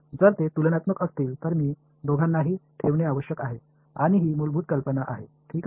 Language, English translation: Marathi, If they are comparable, I must keep both of them and this is the basic idea ok